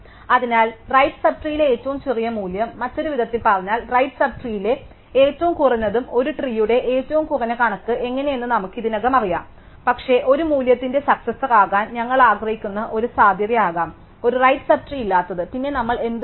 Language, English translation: Malayalam, So, the smallest value in the right sub tree, in other words the minimum of the right sub tree and we already know how to compute the minimum of a tree, but they could be a possibility that we want to successor of a value with does not have a right sub tree, then what we do